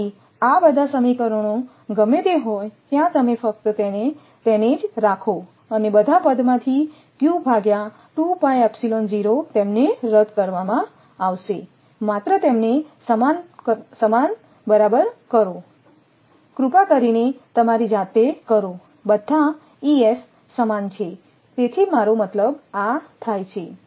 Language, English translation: Gujarati, So, all these equations whatever it is there you just equate to them q 2 pi epsilon 0 all will be cancel just equate to them please do yourself just equate to them all the all the Es are same right if it